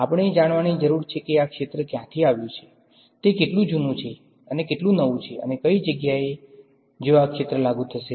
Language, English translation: Gujarati, We need to know where is this field coming from, how old is it, how new is it and some of the places where this field will be applied to